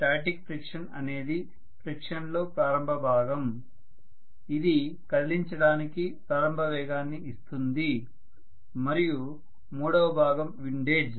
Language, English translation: Telugu, The third static friction is the initial frictional component which will be required to move, give the initial momentum and the third component is windage